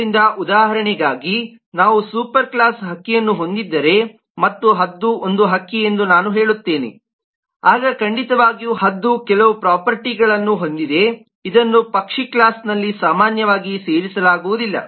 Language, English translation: Kannada, so as an example, let us say if we have a superclass bird and i say eagle is a bird, then certainly eagle has some properties which generically is not added in the bird class